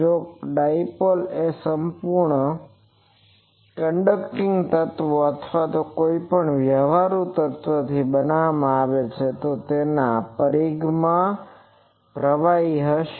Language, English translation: Gujarati, If the dipole is made from a perfect conducting elements or any practical elements, then there will be currents in the circumference